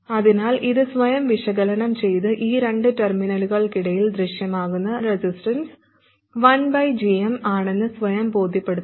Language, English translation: Malayalam, So please analyze this by yourselves and convince yourself that the resistance that appears between these two terminals because of this circuit is 1 by Gm